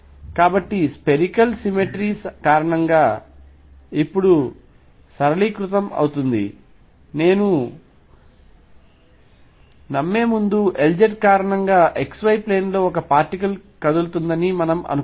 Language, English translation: Telugu, So, because of spherical symmetry the problem gets simplified now before I believe this we can consider because of L z suppose there is a particle moving in x y plane